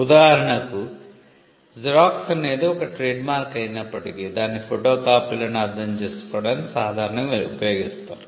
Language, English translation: Telugu, For instance, Xerox though it is a trademark is commonly used to understand photocopies